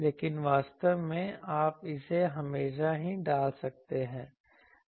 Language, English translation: Hindi, But actually, you can always put it also